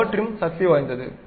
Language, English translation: Tamil, Power trim is really powerful